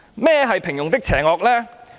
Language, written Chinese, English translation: Cantonese, 何謂平庸的邪惡？, What does the banality of evil mean?